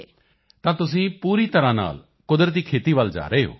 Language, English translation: Punjabi, So in a way you are moving towards natural farming, completely